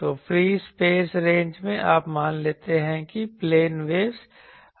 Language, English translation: Hindi, So, in free space ranges you assume that there are plane waves coming